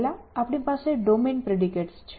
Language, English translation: Gujarati, So, first we have domain predicates